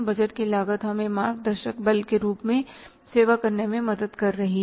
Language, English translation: Hindi, Budgeting cost is helping us to serve as a guiding force